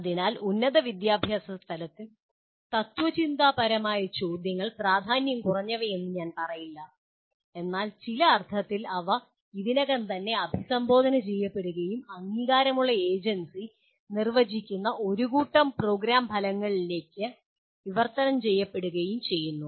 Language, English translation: Malayalam, So, at higher education level, the philosophical questions are I would not call less important but they in some sense they are already addressed and get translated into a set of program outcomes defined by accrediting agency